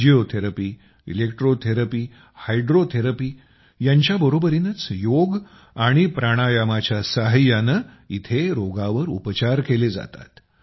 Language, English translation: Marathi, Along with Physiotherapy, Electrotherapy, and Hydrotherapy, diseases are also treated here with the help of YogaPranayama